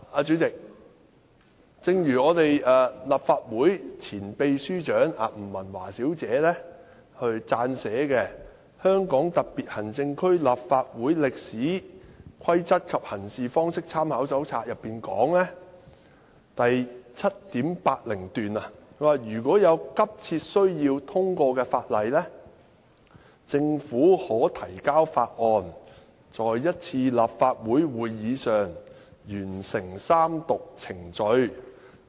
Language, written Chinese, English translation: Cantonese, 主席，立法會前秘書長吳文華小姐撰寫的《香港特別行政區立法會歷史、規則及行事方式參考手冊》第 7.80 段提到："如有急切需要通過法例，政府可提交法案，在一次立法會會議上完成三讀程序。, President paragraph 7.80 of A Companion to the history rules and practices of the Legislative Council of the Hong Kong Special Administrative Region penned by former Secretary General of the Legislative Council Ms Pauline NG reads Where there is an urgent need for the passage of legislation the Government may introduce bills that may have their 3 - reading process completed in one Council meeting